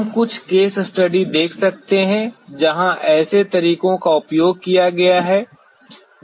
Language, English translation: Hindi, We can see some case studies where such methods have been utilized